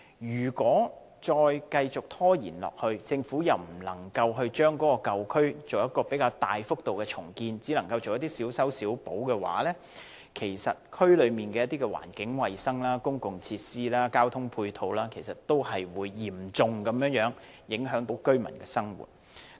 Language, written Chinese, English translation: Cantonese, 如果繼續拖延，政府不能就舊區作出比較大幅度的重建，只能夠作一些小修小補，區內的環境衞生、公共設施、交通配套會嚴重影響居民的生活。, If the Government continues to delay the implementation of large - scale redevelopment projects in these old districts but merely adopts some piecemeal measures the environmental hygiene public facilities and ancillary transport facilities will seriously affect the daily lives of residents